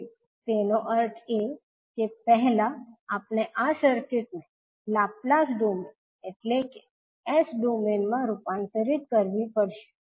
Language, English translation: Gujarati, So means that we have to convert first this circuit into Laplace domain that is S domain